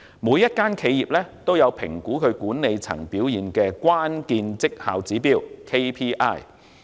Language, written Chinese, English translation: Cantonese, 每間企業均有評估其管理層表現的關鍵績效指標。, Each corporation has a set of key performance indicator KPI for appraising management performance